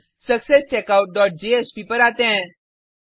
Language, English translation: Hindi, Now, let us come to successCheckout dot jsp